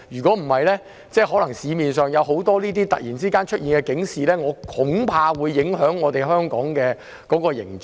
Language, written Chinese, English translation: Cantonese, 否則，我恐怕市面上可能突然出現的這些警示會影響香港的形象。, Otherwise I am afraid that certain alerts that suddenly appear in the market will affect the image of Hong Kong